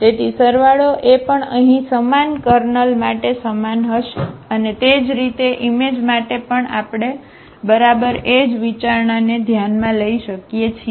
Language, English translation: Gujarati, So, the sum is addition will be also belong to the same kernel here and similarly for the image also we can consider exactly the exactly the same consideration